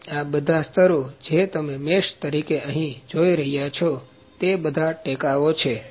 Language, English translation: Gujarati, So, all these layers that you can see as mesh here, these are supports